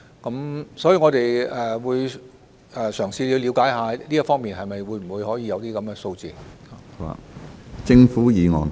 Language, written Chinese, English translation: Cantonese, 就此，我們會嘗試了解是否可以獲得這方面的相關數字。, In this connection we will try to see if we can acquire relevant figures in this regard